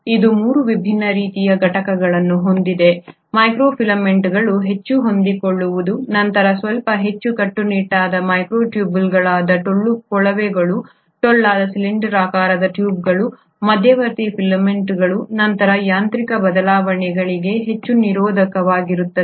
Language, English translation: Kannada, It has 3 different kinds of components; the microfilaments which are the most flexible ones, followed by the microtubules which are slightly more rigid but they are hollow tubes, hollow cylindrical tubes, and then the most resistant to mechanical changes are the intermediary filaments